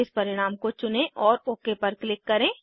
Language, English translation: Hindi, Select this result and click on OK